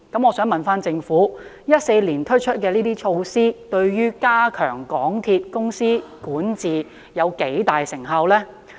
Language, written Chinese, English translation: Cantonese, 我想問政府 ，2014 年推出的這些措施，對於加強港鐵公司的管治有多大成效？, I wish to ask the Government how effective these measures have been in enhancing the corporate governance of MTRCL since their implementation in 2014